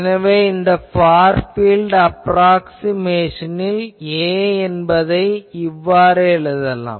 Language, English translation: Tamil, So, this is a far field approximation that in the far field, this A can always be written as